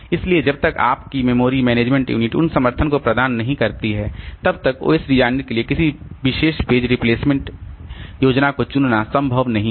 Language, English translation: Hindi, So, until and unless your memory management unit provides those supports, so it is not possible for an OS designer to choose upon a particular page replacement scheme